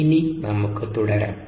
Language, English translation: Malayalam, now let's get back